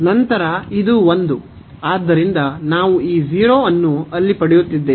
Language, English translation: Kannada, Then this one, and therefore we are getting this 0 there